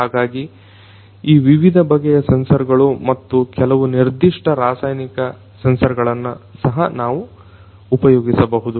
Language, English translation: Kannada, So, these are these different types of sensors and also some you know specific chemical sensors could also be used